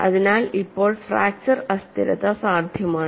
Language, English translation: Malayalam, So, now fracture instability is possible